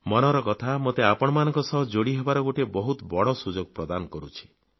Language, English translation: Odia, 'Mann Ki Baat' gives me a great opportunity to be connected with you